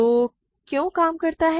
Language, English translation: Hindi, Why does it work